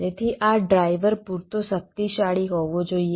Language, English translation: Gujarati, so this driver has to be powerful enough